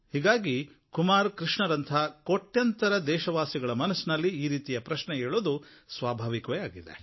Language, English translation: Kannada, For this reason there must be crores of Indians like Kumar Krishna who have the same question in their hearts